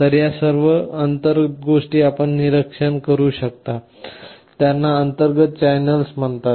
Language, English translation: Marathi, So, all these internal things you can monitor; these are called internal channels